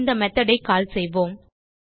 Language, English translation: Tamil, And we will call this method